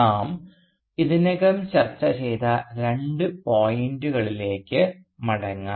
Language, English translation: Malayalam, Let us go back to the two points that we have already discussed